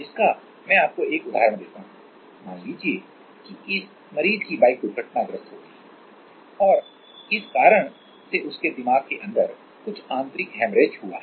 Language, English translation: Hindi, So, let me give you this example, that is let us say this patient had a bike accident and because of this some internal haemorrhage has happened inside his brain